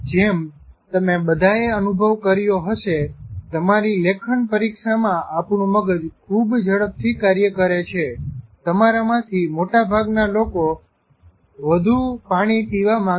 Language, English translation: Gujarati, As you all know, during your writing exam, where our brain is functioning very fast, you, many, most of the people would want to drink more water